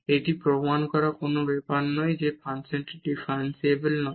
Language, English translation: Bengali, And, then we have proved that this function is differentiable